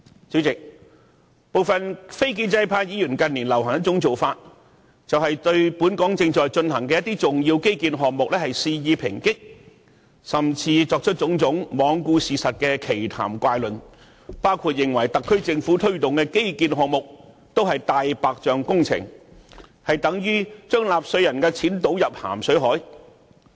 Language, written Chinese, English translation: Cantonese, 主席，部分非建制派議員近年流行一種做法，就是對本港正在進行的重要基建項目肆意抨擊，甚至作出種種罔顧事實的奇談怪論，包括指稱特區政府推動的各項基建項目也是"大白象"工程，撥款等同於把納稅人的錢倒進大海。, Chairman it is common in recent years for some non - establishment Members to blast severely important infrastructure projects which are now underway . They even resort to bringing up absurd and truth - defying arguments which include calling all infrastructure projects promoted by the SAR Government white elephant projects and claiming the funding approval of such projects tantamount to pouring money down the drain